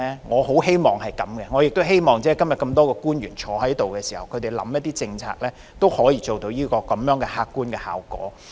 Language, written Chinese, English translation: Cantonese, 我也希望今天多位在席的官員所制訂的政策，都可以做到這客觀效果。, I also hope that this objective result can be achieved through the policies formulated by the government officials who are present here today